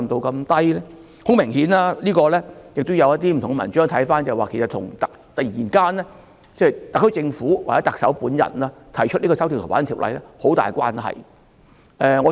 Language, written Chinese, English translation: Cantonese, 很明顯，從不同的文章可以看到，這跟特區政府或特首本人突然提出修訂《逃犯條例》有很大關係。, Obviously it can be seen from various articles that this is strongly related to the amendments to the Fugitive Offenders Ordinance FOO which were proposed all of a sudden by the SAR Government or the Chief Executive herself